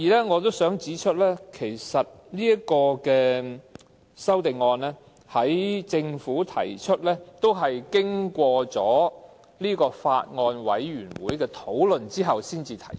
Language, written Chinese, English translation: Cantonese, 我想指出，政府這項修正案，其實也須經過法案委員會討論後才能提出。, I wish to point out that this amendment of the Government had also been discussed by the Bills Committee before it could be proposed